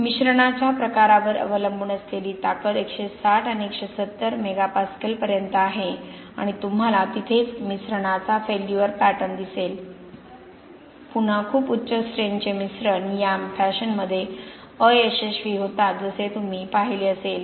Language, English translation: Marathi, The strength we can see up to 160 and 170 Megapascal strength depending on what kind of mix it is and you will see the failure pattern of a mix right there, again very high strength mixes fail in this fashion as you would have seen